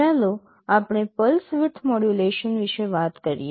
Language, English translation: Gujarati, First let us talk about pulse width modulation